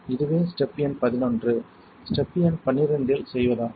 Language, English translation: Tamil, Here is the step number eleven, step number twelve what you do is in step number 12